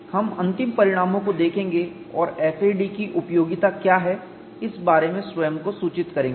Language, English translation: Hindi, We will look at final results and apprise our self what is the utility of FAD